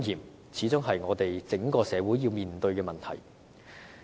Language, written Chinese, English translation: Cantonese, 這始終是我們整個社會要面對的問題。, This is after all an issue that we in the entire community have to address